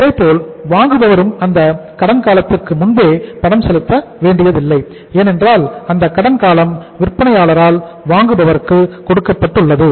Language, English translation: Tamil, Similarly, the buyer is also not bound to make the payment prior to that credit period because that credit period has been given by the seller to the buyer